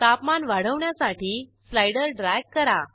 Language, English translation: Marathi, Let us drag the slider to increase the temperature